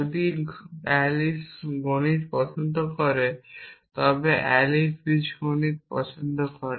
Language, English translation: Bengali, If Alice likes math then Alice likes algebra if Alice likes algebra and music